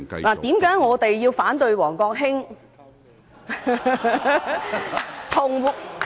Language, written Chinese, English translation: Cantonese, 為何我們要反對王國興......, Why should we oppose Mr WONG Kwok - hings Laughter it should be Mr WONG Kwok - kin